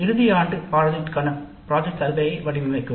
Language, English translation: Tamil, Design a project survey form for the final year project